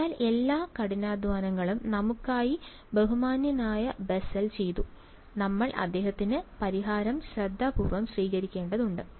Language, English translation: Malayalam, So, all the hard work was done by the gentlemen Bessel for us, we just have to carefully adopt his solution ok